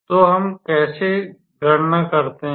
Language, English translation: Hindi, So, how do we calculate